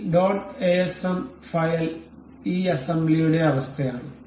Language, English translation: Malayalam, This dot asm file is the state of this assembly